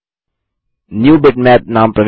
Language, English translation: Hindi, Lets enter the name NewBitmap